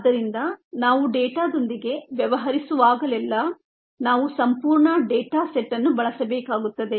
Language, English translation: Kannada, therefore, whenever we deal with data, we need to use a entire set of data